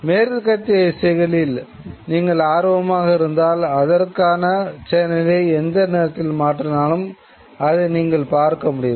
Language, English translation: Tamil, If you are interested in Western music videos you switch on a particular channel at any point of time in the day and you were able to watch that particular genre